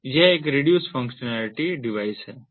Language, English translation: Hindi, so it has reduced functionality, so its a reduced functionality device